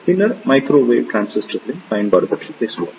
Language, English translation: Tamil, Then, we will talk about the Application of Microwave Transistors